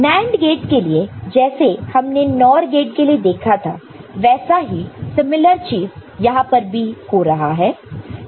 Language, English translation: Hindi, And for NAND gate, what we had seen in case of NOR gate, a similar thing occurs over here